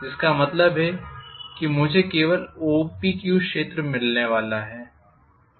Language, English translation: Hindi, Which means I am going to get only area OPQ